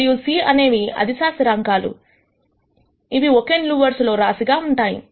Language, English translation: Telugu, And c are the scalar constants which have been stacked as a single column